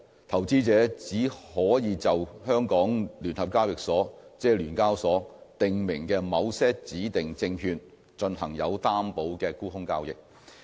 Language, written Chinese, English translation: Cantonese, 投資者只可以就香港聯合交易所訂明的某些指定證券進行有擔保的沽空交易。, Only covered short selling for certain designated securities as prescribed by the Stock Exchange of Hong Kong SEHK is permitted